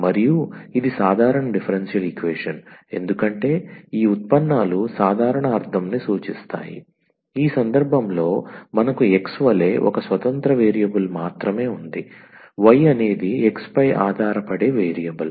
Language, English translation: Telugu, And this is the ordinary differential equation because this derivatives are ordinary meaning this we have only one a independent variable as x in this case, y is a dependent variable on x